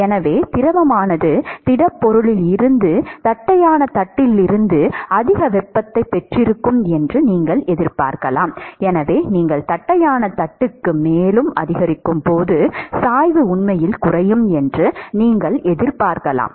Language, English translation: Tamil, Therefore you would expect that the fluid would have gained more heat from the solid, from the flat plate; and therefore you would expect that the gradient will actually decrease when you increase the, when you go further into the flat plate